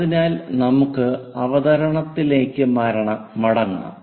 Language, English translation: Malayalam, So, let us go back to our presentation